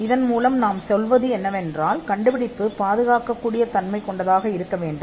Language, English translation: Tamil, By which we mean that an invention should be capable of masked protection